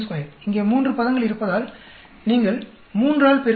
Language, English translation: Tamil, You are multiplying by 3 because there are three terms here